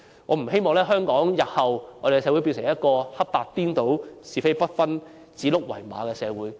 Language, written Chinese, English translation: Cantonese, 我不希望香港社會日後變成一個黑白顛倒、是非不分、指鹿為馬的社會。, I do not want to see our community being turned into a place where people cannot tell black from white or right from wrong and even let falsehood be passed off as truth